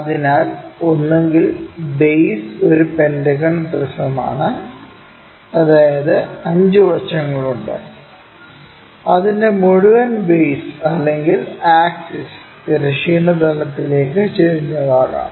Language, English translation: Malayalam, So, either the base is a pentagonal prism that means, 5 sides is entire base or axis, whatever might be that is inclined to horizontal plane